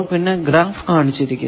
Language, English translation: Malayalam, 10 and the graph we have shown